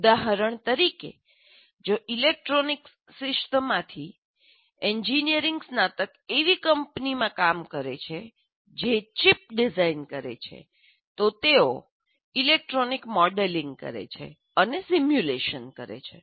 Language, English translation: Gujarati, For example, if engineering graduates from electronics discipline works in a company that is supposed to design a chip, an IC integrated circuit, then the main tool they have is they model electronically